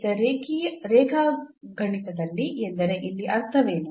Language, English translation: Kannada, So, what do we mean here in geometry now